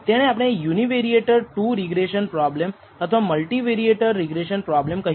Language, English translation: Gujarati, We can have what is called a Univariate 2 regression problem or a multivariate regression problem